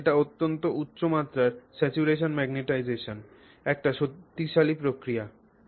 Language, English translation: Bengali, So, it is a very strong response, very high level of saturation magnetization